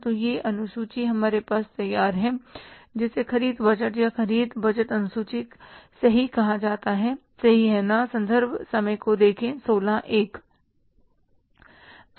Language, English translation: Hindi, So, this schedule is ready with us which is called as the purchase budget or purchase budget schedule